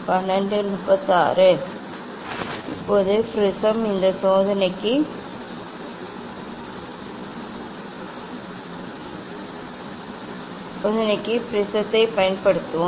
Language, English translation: Tamil, Now, prism we will use prism for this experiment